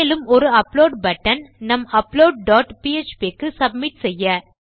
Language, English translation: Tamil, And also we have an upload button which submits to our upload dot php